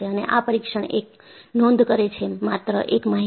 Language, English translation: Gujarati, And, this test records, only one information